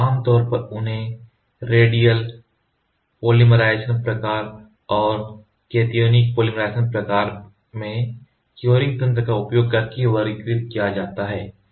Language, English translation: Hindi, So, thus they are categorized generally into the radial polymerization type and the cationic polymerization type by the curing mechanism ok